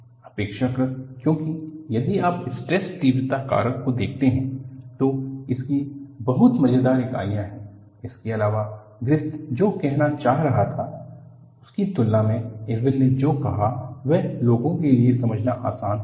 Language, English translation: Hindi, Relatively because if you look at the stress intensity factor, it has very funny units; leaving that apart, compare to what Griffith was trying to say, what Irwin said was easier for people to understand